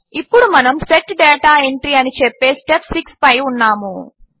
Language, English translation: Telugu, We are on Step 6 that says Set Data Entry